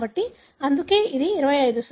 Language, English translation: Telugu, So,, that is why it is 25%